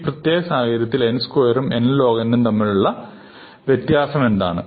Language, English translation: Malayalam, So, what is this distinction between n square and n log n in this context